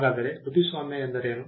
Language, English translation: Kannada, So, what is a copyright